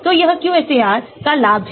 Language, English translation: Hindi, so this is the advantage of QSAR